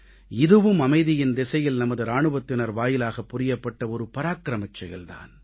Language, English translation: Tamil, This too was an act of valour on part of our soldiers on the path to peace